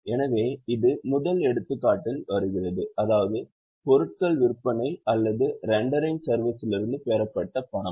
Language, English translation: Tamil, So, it falls in the first example, that is cash received from sale of goods for rendering services